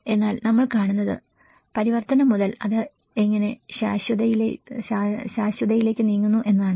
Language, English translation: Malayalam, But what we are seeing is the, how the from the transition onwards, how it moves on to the permanency